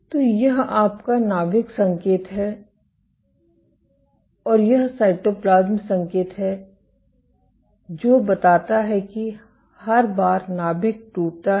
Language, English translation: Hindi, So, this is your nuclear signal and this is the cytoplasm signal suggesting that this every time there is a nuclear rupture